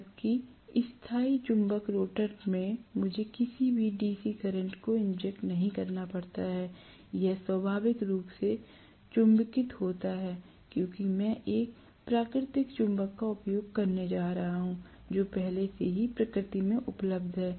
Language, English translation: Hindi, Whereas in permanent magnet rotor I do not have to inject any DC current, it is inherently magnetised because I am going to use a natural magnet that is available in nature already